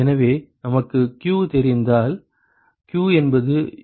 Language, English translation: Tamil, So, if we know q q is UA deltaT lmtd